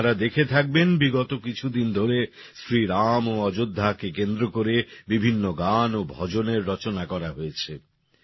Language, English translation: Bengali, You must have noticed that during the last few days, many new songs and new bhajans have been composed on Shri Ram and Ayodhya